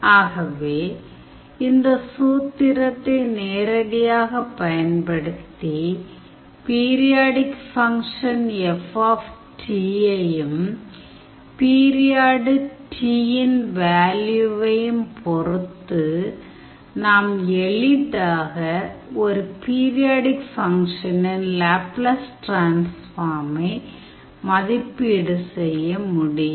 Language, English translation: Tamil, So, using this formula directly depending upon the value of the periodic function F t and the value of the period capital T we can tell what will be the Laplace transform of a periodic function